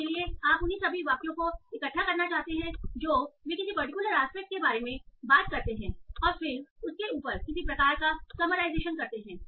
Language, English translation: Hindi, So there you want to gather all the sentences that talk about a particular aspect and then do some sort of summarization on top of that